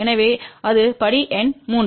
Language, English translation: Tamil, So, that is a step number 3